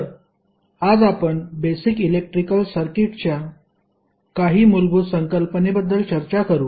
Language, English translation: Marathi, So, today we will discuss about some core concept of the basic electrical circuit